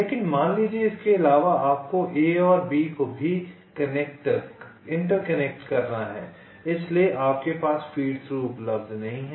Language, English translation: Hindi, but suppose additionally you also have to interconnect a and b so you do not have another feed throughs are available, so this routing will fail